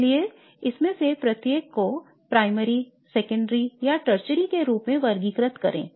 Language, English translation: Hindi, So let's do that exercise by classifying each of these as primary, secondary or tertiary